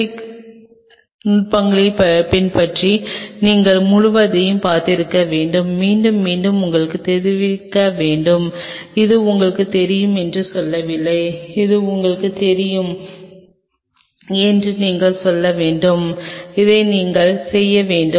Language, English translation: Tamil, Following the aseptic techniques, you must have seen all throughout and repeatedly kind of you know hinting upon it not really telling that you know this is you should do this is you should do